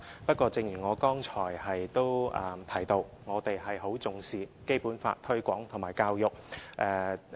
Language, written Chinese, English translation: Cantonese, 不過，正如我剛才提到，我們很重視《基本法》的推廣和教育。, But as I said just now we attach great importance to the promotion of and education on the Basic Law